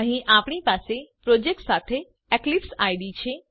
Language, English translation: Gujarati, Here we have EclipseIDE with the project